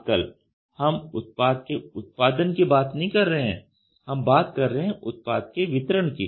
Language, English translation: Hindi, Today we are not talking about product production, we are talking about product delivery